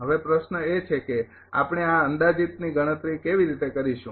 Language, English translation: Gujarati, Now question is how we are computing this approximate one